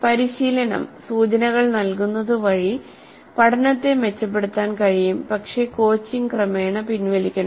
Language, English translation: Malayalam, And coaching providing hints can improve learning but coaching should be gradually withdrawn